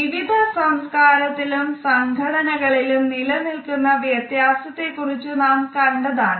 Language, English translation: Malayalam, We have also looked at the cultural differences the differences which exist in different organizations